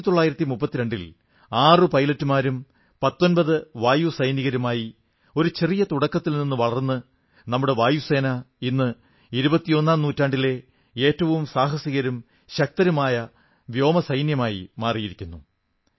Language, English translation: Malayalam, Making a humble beginning in 1932 with six pilots and 19 Airmen, our Air Force has emerged as one of mightiest and the bravest Air Force of the 21st century today